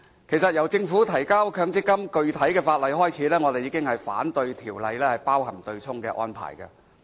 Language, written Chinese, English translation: Cantonese, 其實，由政府提交強積金的具體法例開始，我們已反對法例包含對沖安排。, Actually when the Government submitted the specific legislation on MPF back then we already opposed the inclusion of the offsetting arrangement